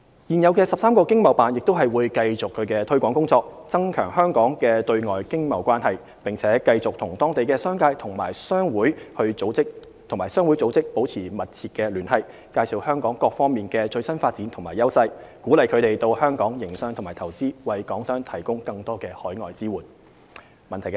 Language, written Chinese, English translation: Cantonese, 現有的13個經貿辦亦會繼續其推廣工作，增強香港的對外經貿關係，並繼續與當地商界和商會組織保持密切聯繫，介紹香港各方面的最新發展和優勢，鼓勵他們到香港營商及投資，為港商提供更多海外支援。, The 13 existing ETOs will keep up with their promotional work overseas to strengthen Hong Kongs external relations . The ETOs will maintain close and regular contacts with the local business sectors and introduce to them the latest positions and advantages of Hong Kong to encourage them to set up business or invest in Hong Kong bringing stronger overseas support to Hong Kong businesses . 3 The HKSAR Government attaches great importance to the pursuit of the Belt and Road BR Initiative